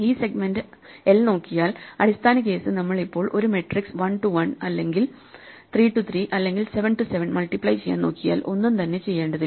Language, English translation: Malayalam, The base case well if we are just looking at a segment of length 1, supposing we just want to multiply one matrix from 1 to 1, or 3 to 3, or 7 to 7 nothing is to be done